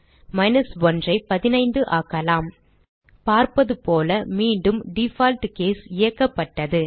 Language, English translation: Tamil, Change 1 to 15 As we can see, again the default case is executed